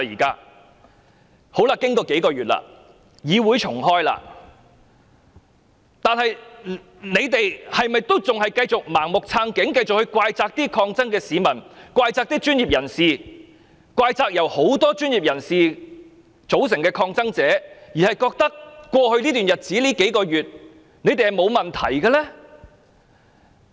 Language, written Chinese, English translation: Cantonese, 建制派議員是否仍然要繼續盲目撐警、怪責抗爭的市民、怪責專業人士、怪責一眾由專業人士組成的抗爭者，認為在過去這數個月來自己是完全沒有問題的呢？, Are pro - establishment Members going to maintain their blind support for the Police reproach those ordinary people who have taken part in the protests professionals and also those protesters who comprise professionals while thinking that they themselves have done nothing wrong over these few months?